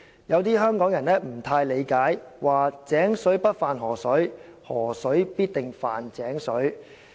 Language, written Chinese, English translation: Cantonese, 有的香港人不大理解，說：'井水不犯河水，河水必定犯井水'。, Some people of Hong Kong did not entirely understand saying well water will not intrude into river water but river water will some day intrude into well water for sure